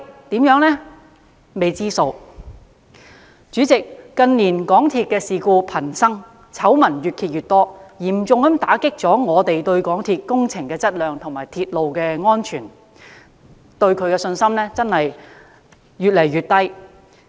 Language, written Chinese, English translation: Cantonese, 代理主席，港鐵近年事故頻生，醜聞越揭越多，嚴重打擊我們對港鐵公司的工程質量和鐵路安全的信心，信心越來越少。, Deputy President the frequent occurrence of incidents and scandals involving MTRCL in recent years has dealt a further blow to our already weak confidence in the quality of its projects as well as railway safety